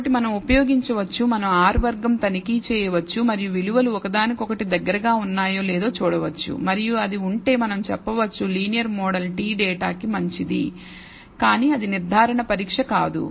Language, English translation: Telugu, So, we can use, we can check R squared and see whether the values close to one and if it is we can say maybe linear model is good to t the data, but that is not a confirmatory test